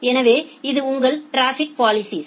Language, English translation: Tamil, So, this is your traffic policing